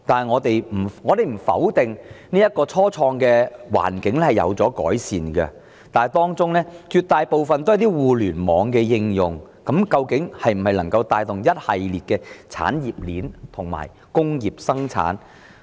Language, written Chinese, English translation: Cantonese, 我們不否定初創的環境已有所改善，但這些企業的性質絕大部分均為互聯網的應用，究竟能否帶動一系列的產業鏈發展及工業生產？, While we do not deny that improvements have been made in the environment for start - ups the nature of such enterprises mostly concerns Internet application . Exactly can they drive a series of industry chain development and industrial production?